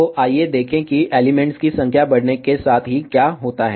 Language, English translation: Hindi, So, let us see what happens to the directivity as number of elements increase